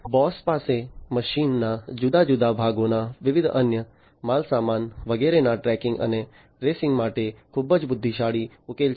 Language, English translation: Gujarati, Bosch has a very intelligent solution for tracking and tracing of different parts machine parts different other goods and so on